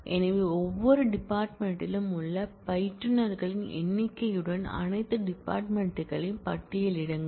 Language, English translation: Tamil, So, you are saying list all departments along with number of instructors each department has